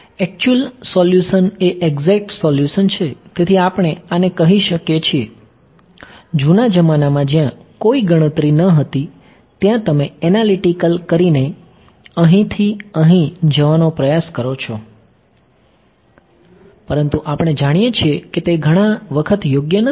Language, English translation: Gujarati, The actual solution right exact solution; so, we can call this is the, in the olden days where there was no computation you try to go from here to here by doing what analytical right, but we know that is not possible many times right